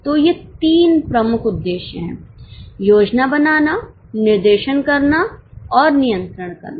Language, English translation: Hindi, So, these three are the major objectives planning, directing and controlling